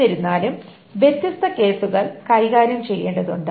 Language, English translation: Malayalam, However, different cases need to be handled